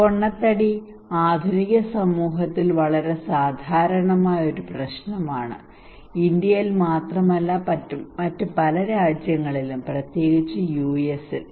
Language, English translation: Malayalam, So obesity is a very common problem in modern society, okay not only in India but in many other countries especially in US